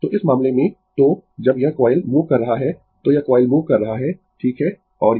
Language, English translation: Hindi, So, in this case, so, when this coil is moving, this coil is moving right and it